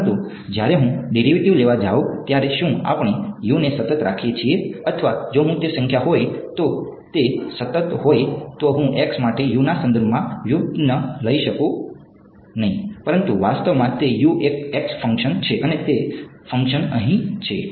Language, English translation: Gujarati, But when I go to take the derivative are we keeping U to be constant or if I if it is a number then it is a constant I cannot take the derivative with respect to x for U, but actually it is U is a function of x and that function is here